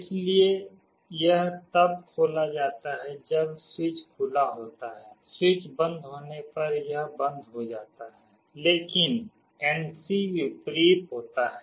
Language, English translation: Hindi, So, it is open when the switch is opened, it gets closed when the switch is closed, but NC is the reverse